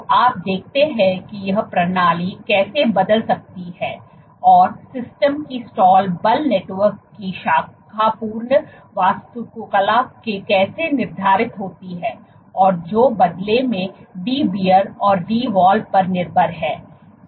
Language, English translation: Hindi, So, you see how this system can change and how the stall force of the system is determined by the branching architecture of the network and which in turn is dependent on Dbr and Dwall